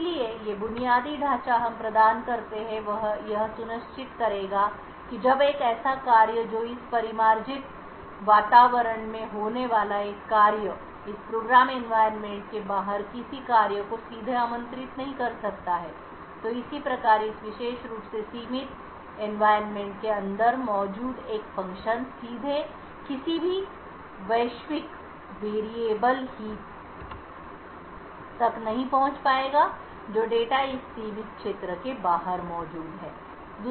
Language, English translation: Hindi, So the infrastructure that we provide would ensure that when a function that a function executing in this confined environment cannot directly invoke any function outside this environment, similarly a function present inside this particular confined environment would not be able to directly access any global variable or heap data present outside this confined area